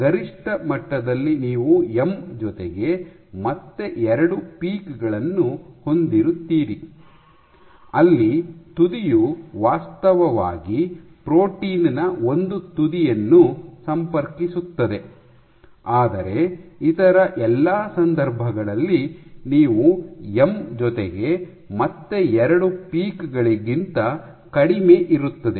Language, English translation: Kannada, So, at max you will have M plus 2 peaks, where the tip actually contacts the one end of the protein, but in all other cases you will have less than M plus 2 peaks